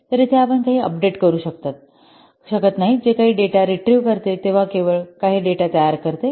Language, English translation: Marathi, So here you cannot what update anything else only that produces for some data, it results in some data retrieval